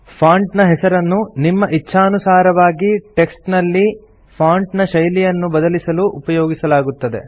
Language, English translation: Kannada, Font Name is used to select and change the type of font you wish to type your text in